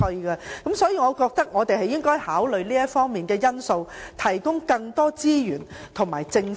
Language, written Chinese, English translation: Cantonese, 因此我們應考慮向他們提供更多資源和政策。, Therefore we should consider providing them with more resources and policies